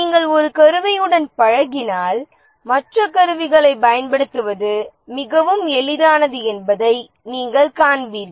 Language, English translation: Tamil, If you get used to one tool you will see that it becomes very easy to use the other tools